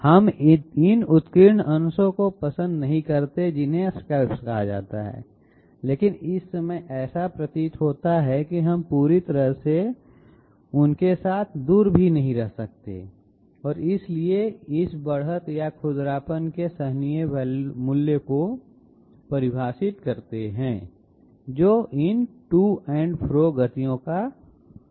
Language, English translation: Hindi, We do not like these upraised portions called scallops existing, but at this moment it appears that we cannot do away with them completely and therefore, we define a tolerable value of this edge or roughness which is the result from these to and fro motions